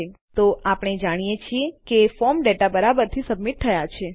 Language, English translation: Gujarati, Ok so, we know that the form data has been submitted correctly